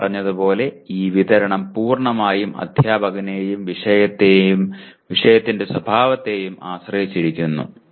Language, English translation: Malayalam, As we said this distribution completely depends on the instructor as well as the nature of the subject